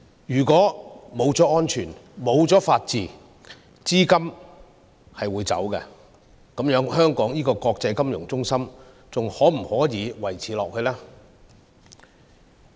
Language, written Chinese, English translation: Cantonese, 如果沒有安全、沒有法治，資金便會流走，這樣的話，香港這個國際金融中心能否維持下去呢？, A city without safety and rule of law will result in an outflow of capital . If Hong Kong becomes such a city can it maintain its status as an international financial centre?